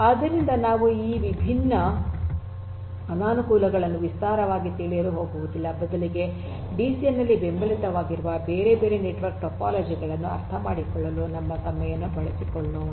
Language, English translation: Kannada, So, we are not going to elaborate on this different disadvantages rather let us use our time to understand the different other network topologies that are supported in the DCN